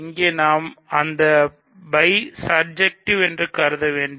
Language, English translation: Tamil, Here we will have to assume that phi surjective